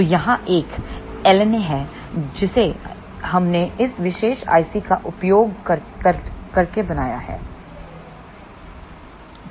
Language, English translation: Hindi, So, here is an LNA which we fabricated using this particular IC